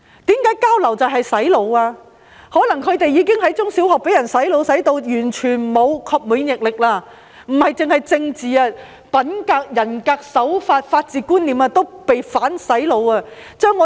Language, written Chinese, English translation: Cantonese, 他們可能已在中小學被"洗腦"至完全沒有免疫力，不止是政治，品格、人格、手法、法治觀念也被"反洗腦"。, They may have been brain - washed during their primary and secondary education and lost their immunity . Not only in the context of politics they have undergone reverse brainwashing in terms of their conduct integrity practice and the concept of the rule of law